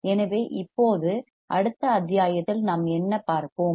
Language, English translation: Tamil, So, now in the next module what we will see